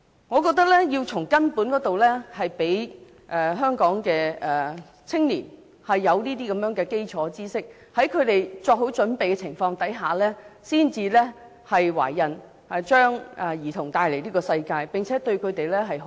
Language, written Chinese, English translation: Cantonese, 我覺得要從根本入手，讓香港的青年有這方面的基礎知識，使他們在作好準備的情況下才生育，將兒童帶來這個世界，並且好好的對待他們。, I think we must tackle the problem at root by enabling young people in Hong Kong to acquire the basic knowledge in this respect so that they will give birth only when they are prepared to and only when they are well - prepared that they will bring their children into the world and take care of them properly